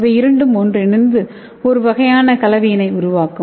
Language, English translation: Tamil, So it will combine and form this kind of complex